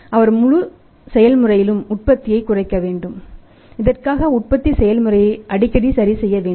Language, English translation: Tamil, He has to minimise the production in this entire process what he is doing he has to adjust is manufacturing process very, very frequently